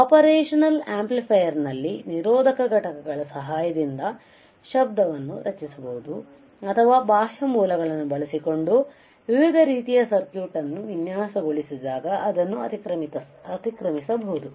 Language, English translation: Kannada, So, the noise can be generated with the help by resistive components in the operational amplifier or it can be superimposed when you design the of different kind of circuit using external sources